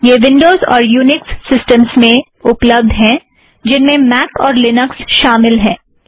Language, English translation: Hindi, It is available on windows and all unix systems, including Mac and linux